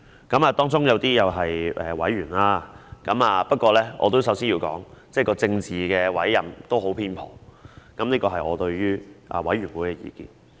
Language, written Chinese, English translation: Cantonese, 監警會中有一些委員——不過我首先要說，政治委任是很偏頗，這是我對於這個委員會的意見。, There are some members in IPCC―but I have to first say that political appointment is very biased and it is my view on IPCC